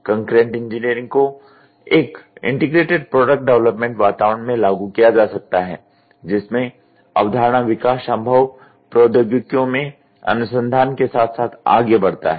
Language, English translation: Hindi, The concurrent engineering can be implemented in an integrated product development environment in which concept development proceeds simultaneously with research into possible technologies